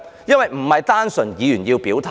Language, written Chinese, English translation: Cantonese, 因為並不單純是議員要表態。, Because this is not simply the expression of stances by Members only